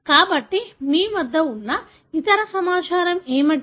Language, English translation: Telugu, So, what is the other information you have